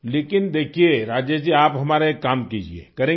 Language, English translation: Hindi, But see Rajesh ji, you do one thing for us, will you